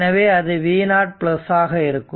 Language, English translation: Tamil, And say this is v and this is v 0 right